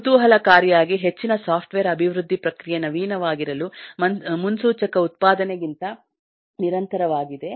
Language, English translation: Kannada, interestingly, most software development is continuously innovative process rather than predictive manufacturing